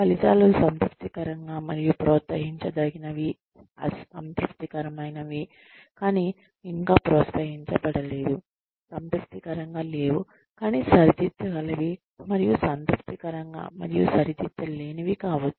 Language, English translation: Telugu, The outcomes could be, satisfactory and promotable, satisfactory not promotable yet, unsatisfactory but correctable, and unsatisfactory and uncorrectable